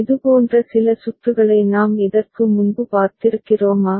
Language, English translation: Tamil, And have we seen some such circuit before